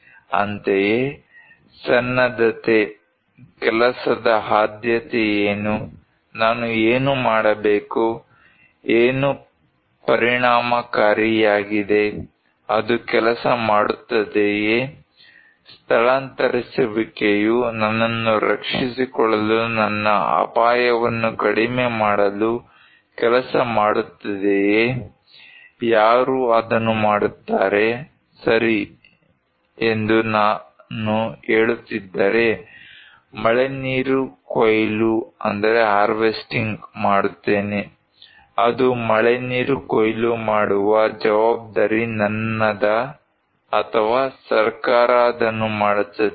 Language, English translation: Kannada, Similarly, preparedness; what is priority of work, what should I do, what is effective, will it work, evacuation will work to protect myself to reduce my risk, who will do it, if I am saying that okay I will put rainwater harvesting, is it my responsibility to put rainwater harvesting or the government will do it